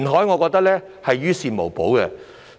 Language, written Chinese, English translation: Cantonese, 我覺得填海是於事無補。, I reckon that reclamation will not help